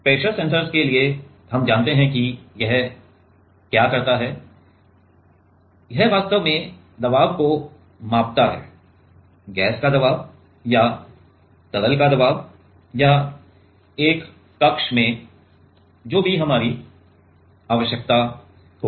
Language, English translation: Hindi, For pressure sensors we know that what it does, it actually, measures the pressure; pressure of the gas or pressure of the liquid or in a chamber with whatever is our requirement